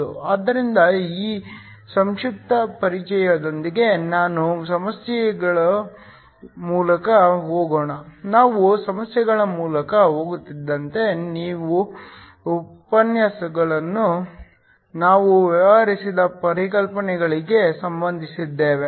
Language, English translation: Kannada, So, with this brief introduction let me go through the problems, as we go through the problems we will again related to the concepts that we dealt with in the lectures